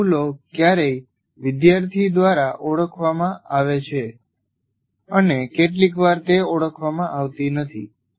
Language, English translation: Gujarati, These errors, sometimes they are either noted by this, identified by the student, or sometimes they do not